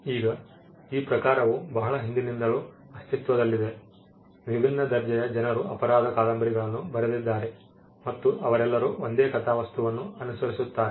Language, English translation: Kannada, Now, this genre has been in existence for a long time, people of different calibers have written crime novels and they all follow the same plot